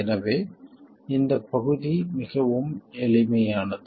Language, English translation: Tamil, So, this part is pretty simple